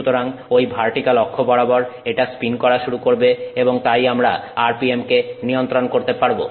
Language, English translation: Bengali, So about that vertical axis it is going to spin and therefore we can control the RPM